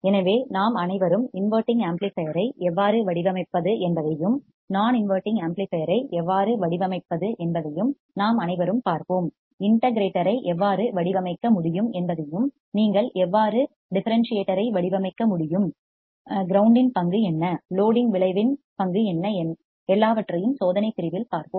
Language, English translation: Tamil, So, this we all will see in the experiment part also how we can design the inverting amplifier how we can design an non inverting amplifier how we can design integrator how you can design differentiator what is the role of ground what is the role of loading effect we will see everything in the experimental section as well